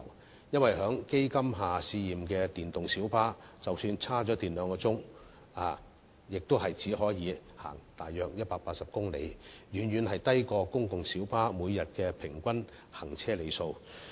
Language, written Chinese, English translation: Cantonese, 原因是，在基金下試驗的電動小巴即使充電兩小時，亦只可行駛約180公里，遠遠低於公共小巴每天平均行車里數。, The reason is that the electric light bus under testing with the support of the Fund can only drive for about 180 km after two hours of battery charging . This is far below the average daily mileage of a public light bus